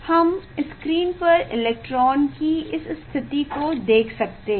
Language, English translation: Hindi, we can see this position of the electron on the screen